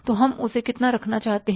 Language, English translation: Hindi, So how much we want to to keep that